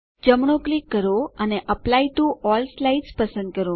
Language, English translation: Gujarati, Right click and select Apply to All Slides